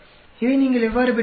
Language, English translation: Tamil, How did you get this